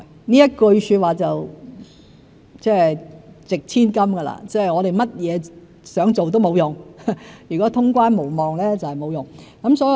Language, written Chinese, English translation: Cantonese, 這句說話"值千金"——我們想做甚麼都沒有用，如果通關無望就沒有用。, This remark carries enormous weight―it is pointless to pursue what we want if there is no prospect of resumption of quarantine‑free travel